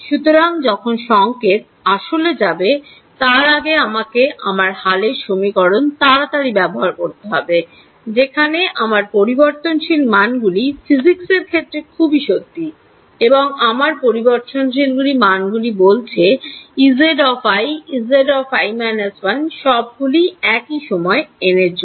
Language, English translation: Bengali, So, before the wave has physically gone I want to quickly use my update equations while my variables are still faithful to the physics my variable says E z i E z i minus 1 all at some time instant n and n